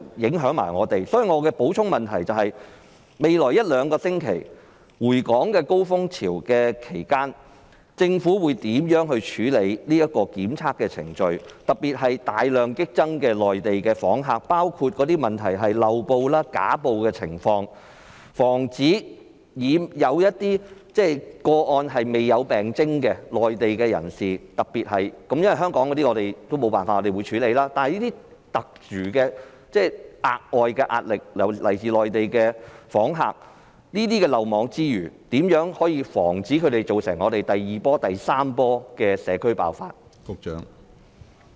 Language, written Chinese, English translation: Cantonese, 所以，我的補充質詢是，在未來一兩星期市民回港的高峰期，政府會如何處理檢測程序？尤其是內地訪客激增，當中的問題包括漏報、虛報等情況，有些個案涉及未有病徵的內地人士——若然是香港人，沒有辦法，我們必須處理——但這些是來自內地訪客的特殊、額外的壓力，對於這些漏網之魚，如何可以防止他們在香港造成第二波或第三波的社區爆發？, Regarding the impacts of the epidemic on Hong Kong will the Government inform this Council 1 among the non - local persons who had entered Hong Kong from the Mainland and had been confirmed in Hong Kong to have been infected with the virus of the number of those who successfully gained entry into Hong Kong as they had not been identified as suspected cases as well as the respective average duration of their stay in Hong Kong at the time they showed the relevant symptoms and they were confirmed to have been infected; whether it will immediately suspend granting entry permission to all non - local persons who have recently visited any Mainland cities or come to Hong Kong via the Mainland and temporarily forbid Hong Kong residents from travelling to the Mainland until the epidemic is under control; if so of the details; if not the reasons for that; 2